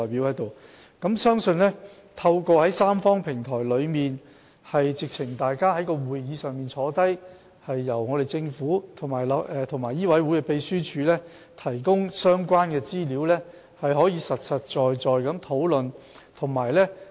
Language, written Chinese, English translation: Cantonese, 我相信透過這個三方平台，大家可以坐下來，由政府和醫委會秘書處提供相關資料，進行實在的討論。, I believe that through this Tripartite Platform we can sit down together and the Government and the MCHK Secretariat will provide relevant information for conducting practical discussions